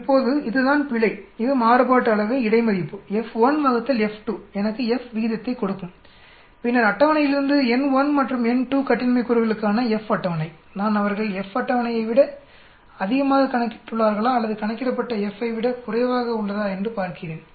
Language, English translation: Tamil, Now this is error this is variance between, F1 by F2 will give me the F ratio then from the table, F table for n1 and n2 degrees of freedom I see whether they have calculated is greater than F table or F calculated is less than